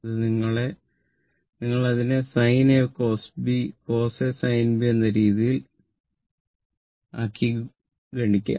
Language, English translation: Malayalam, This one you just expand it in sin A cos B when plus your what you call cos A sin B, and you multiply